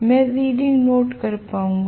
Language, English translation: Hindi, I will able to note down the reading